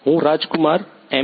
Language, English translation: Gujarati, I am Rajkumar M